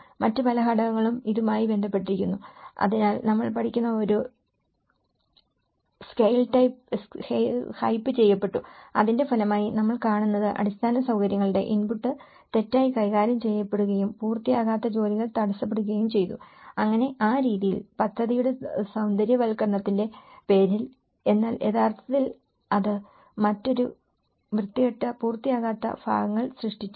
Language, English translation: Malayalam, There are all many other factors which is related to it, so the scale has been in this what we are learning, a scale has been hyped and as a result of that what we are seeing is the infrastructural input has been mismanaged and an unfinished work has been held over, so in that way, in the name of beautification of the project but it has actually created a different ugly, unfinished parts